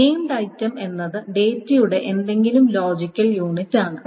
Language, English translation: Malayalam, A named item is essentially any logical unit of data can be a named item